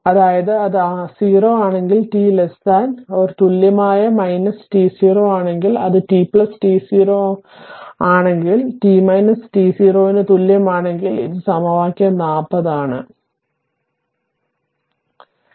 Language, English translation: Malayalam, That is if it is 0, if t less than equal to minus t 0 and it is t plus t 0 if t greater than equal to minus t 0, this is equation 40, right